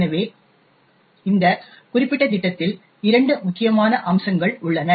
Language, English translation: Tamil, So, there are two critical aspects in this particular program